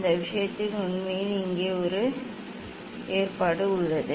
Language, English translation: Tamil, in that case actually there is a provision here